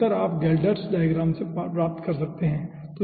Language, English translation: Hindi, so theses are answer you can find out from geldarts diagram